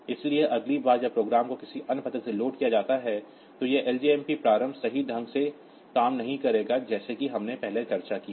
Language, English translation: Hindi, So, next time the program is loaded from some other address, so this ljmp start will not work correctly as we have discussed previously